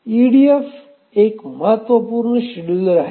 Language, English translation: Marathi, EDF is an important scheduler